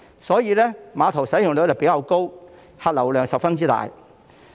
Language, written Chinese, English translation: Cantonese, 所以，該碼頭使用率比較高，客流量十分大。, Therefore that terminal has a higher utilization rate and a very heavy passenger flow